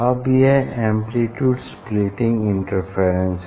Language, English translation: Hindi, this is the amplitude splitting interference